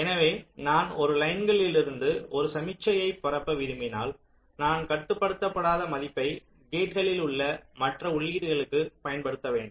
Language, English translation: Tamil, so if i want to propagate a signal from one line, let say from here, so along this path, so i have to apply non controlling value to the other inputs along the gates